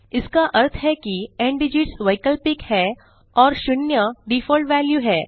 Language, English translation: Hindi, This means that ndigits is optional and 0 is the default value